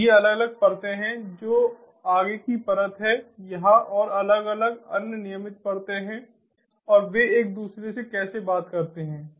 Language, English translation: Hindi, you know, these are the different layers, the forwarding layer over here and the different other regular layers and how they talk to each other